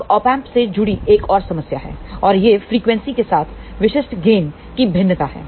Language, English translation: Hindi, Now, there is a another problem associated with the Op Amp and this is the typical gain variation with frequency